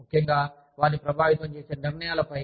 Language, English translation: Telugu, Especially, on decisions, that are going to affect them